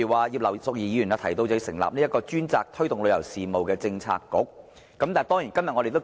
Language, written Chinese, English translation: Cantonese, 葉劉淑儀議員建議，"成立專責推動旅遊事務的政策局"。, Mrs Regina IP proposes setting up a policy bureau dedicated to promoting tourism